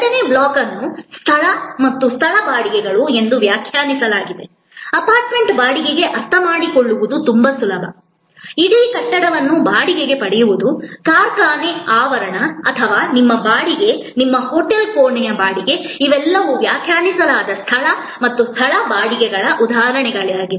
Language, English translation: Kannada, The second block is defined space and place rentals, very easy to understand renting of an apartment, renting of a whole building, renting of a factory, premises or your, renting of your hotel room, all these are examples of defined space and place rentals